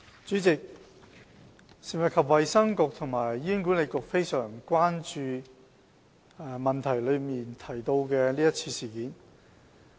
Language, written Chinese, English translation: Cantonese, 主席，食物及衞生局和醫院管理局非常關注質詢所提及的是次事件。, President the Food and Health Bureau and Hospital Authority HA are highly concerned about the event mentioned in the question